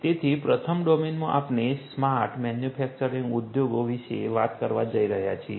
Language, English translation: Gujarati, So, in the first domain we are going to talk about smart manufacturing industries